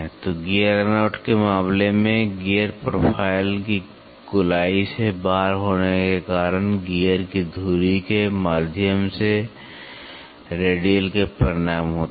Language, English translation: Hindi, So, in case of gear run out is a resultant of a radial through of the axis of a gear due to out of roundness of the gear profile